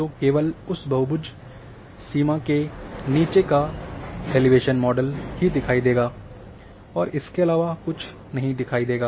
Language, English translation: Hindi, So, only the elevation model below that polygon boundary would be visible nothing else will be